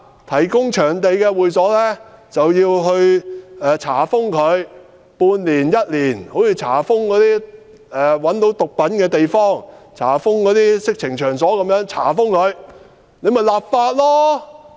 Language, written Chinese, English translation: Cantonese, 提供場地的會所就要被查封一年半載，就如查封毒品和色情場所一般。, Any club that hired out venue has to be shut down for six months to one year as in the case of shutting down drug dens or vice establishments